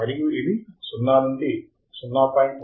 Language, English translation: Telugu, And it is constant from 0 to 0